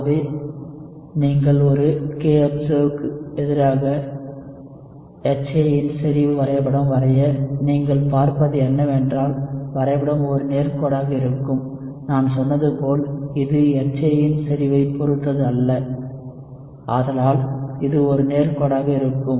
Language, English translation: Tamil, So if you have let us say, a kobserved value, what you would see is that the plot would be a straight line, as I told you, it does not depend on concentration of HA, so this would be a straight line